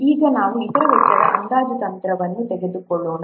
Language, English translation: Kannada, Now let's take up the other cost estimation technique